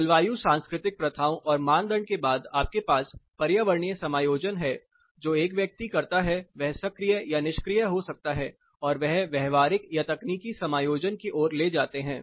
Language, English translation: Hindi, Climo cultural practices and norms then you have environmental adjustments which a person does it can be active or passive leads to behavioral or technological adjustments